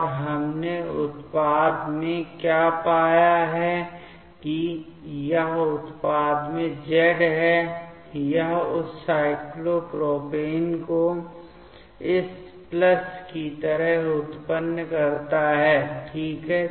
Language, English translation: Hindi, And what we found in the product that this is z in the product, it generates that cyclopropane like this plus ok